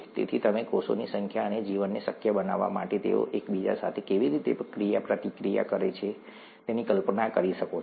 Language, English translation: Gujarati, So you can imagine the number of cells and how they interact with each other to make life possible